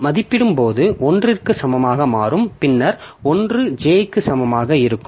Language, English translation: Tamil, When I value will become equal to 1, then I equal to 1, j equal to 0